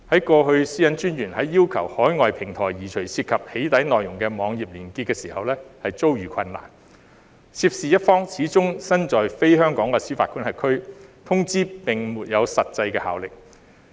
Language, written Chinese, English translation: Cantonese, 過去私隱專員在要求海外平台移除涉及"起底"內容的網頁連結時遭遇困難，涉事一方始終身在非香港的司法管轄區，通知並沒有實際效力。, In the past the Commissioner encountered difficulty in requesting overseas platforms to remove weblinks involving doxxing content because after all the parties involved were in jurisdictions outside Hong Kong hence depriving the notices of any actual effect